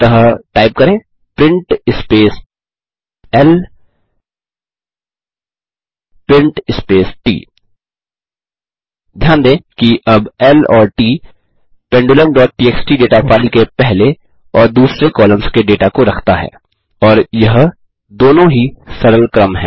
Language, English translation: Hindi, So type print space L print space T Notice, that L and T now contain the first and second columns of data from the data file, pendulum.txt, and they are both simple sequences